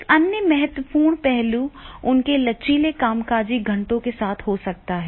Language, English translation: Hindi, Another important point is this, that is it can be with their flexing working hours